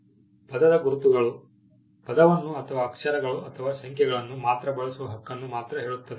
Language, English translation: Kannada, Word marks claim the right to use the word alone, or letters or numbers